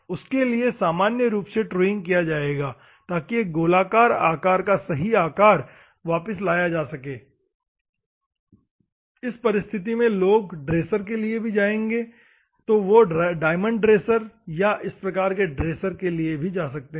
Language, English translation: Hindi, For that purpose normally truing will be done, so that the true shape of a circular shape will be bought into the picture in this circumstances also people will go for the dressers, and they can go for the diamond dressers or this type of dressers